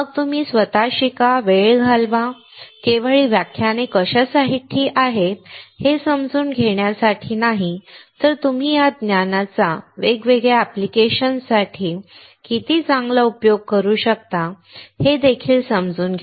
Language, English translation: Marathi, Then you learn by yourself, spend time, not only about understanding what these lectures are all about, but also to understand how well you can utilize this knowledge for different applications